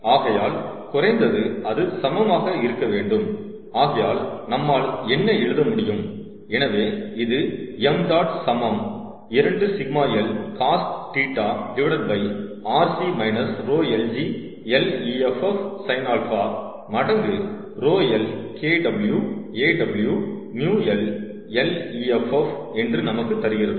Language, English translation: Tamil, so at a minimum it should be equal to, and what we can write, therefore, is this: gives us m dot is equal to two sigma l, cos, theta over rc, minus rho, l, g, l, effective, sin alpha times, rho l, kw, aw, mu, l, l, effective, ok